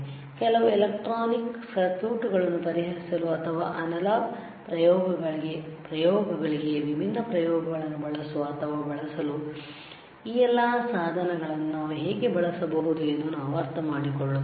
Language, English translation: Kannada, And then we understand that how we can use this all the equipment to solve some electronic circuits or to or to use different experiments to analog experiments, right